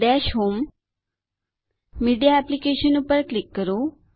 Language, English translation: Gujarati, Click on Dash home Media Applications